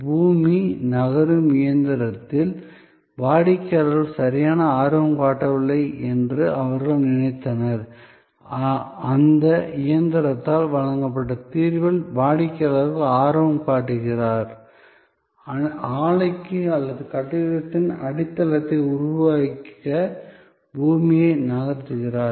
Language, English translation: Tamil, They thought that the customer is not interested exactly in that machine, the earth moving machine, the customer is interested in the solution provided by that machine, which is moving earth away to create the foundation for the plant or for the building